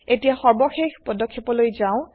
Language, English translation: Assamese, Now, let us go to the final step